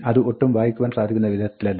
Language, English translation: Malayalam, It is not very readable